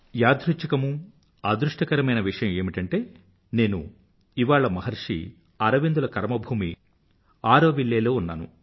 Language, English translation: Telugu, Coincidentally, I am fortunate today to be in Auroville, the land, the karmabhoomi of Maharshi Arvind